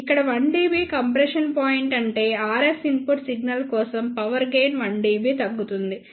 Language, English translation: Telugu, Here the 1 dB compression point means that for the RF input signal the power gain decreases by 1 dB